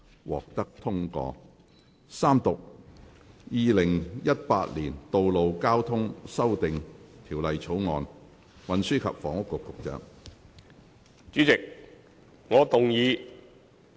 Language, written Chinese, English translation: Cantonese, 主席，我動議《2018年道路交通條例草案》予以三讀並通過。, President I move that the Road Traffic Amendment Bill 2018 be read the Third time and do pass